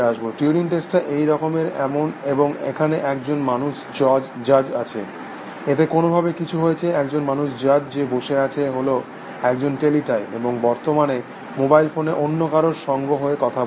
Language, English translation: Bengali, The turing test is like this, that there is a human judge, in this something has happened to this anyway, there is a human judge sitting on in those is a teletype, in current they were in may be on a mobile phone chatting with someone